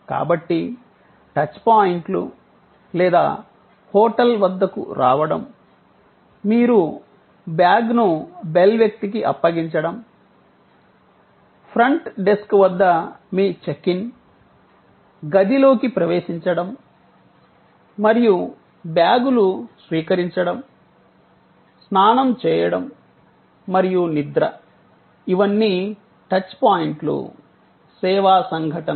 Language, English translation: Telugu, So, the touch points or arrival at the hotel, your handling over of the bags to the bell person, your checking in at the front desk, your accessing the room and receiving the bags, your shower and sleep, all of these are touch points service events